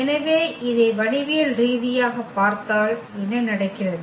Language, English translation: Tamil, So, if we look at this geometrically what is happening